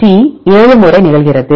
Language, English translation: Tamil, T occurs 7 times